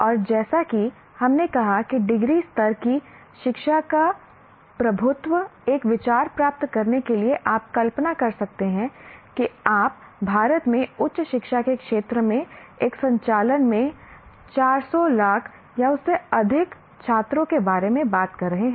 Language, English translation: Hindi, And as we said, the dominance of degree level education to get an idea, you can imagine it will be in India you are talking about 400, lakhs of or more students in a operating in the area of higher education in India